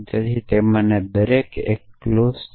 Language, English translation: Gujarati, So, each of them is a clause